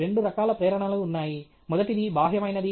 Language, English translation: Telugu, There are two kinds of motivation: first is extrinsic okay